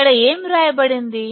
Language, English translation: Telugu, What is written here